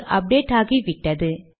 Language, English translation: Tamil, Alright it has updated